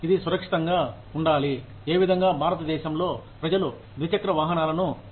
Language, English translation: Telugu, That should be safer than, the manner in which, people used two wheelers in India